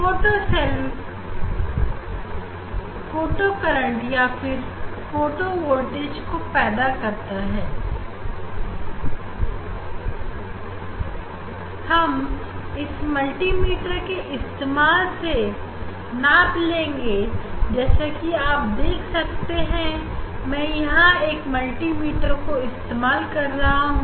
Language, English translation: Hindi, photocell will give photo current or photo voltage this we are measuring using the multi meter, you can see this we are we will measure using the multi meter